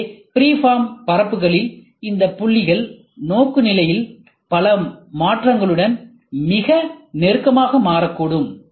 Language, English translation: Tamil, So, in case of freeform surfaces, these points can become very close together with many changes in orientation